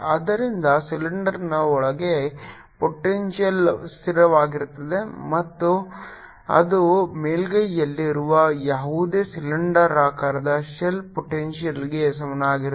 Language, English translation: Kannada, so inside the cylinder potential is constant and which is would be equal to whatever potential would be on the surface of the cylindrical shell